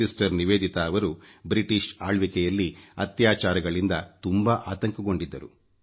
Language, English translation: Kannada, Sister Nivedita felt very hurt by the atrocities of the British rule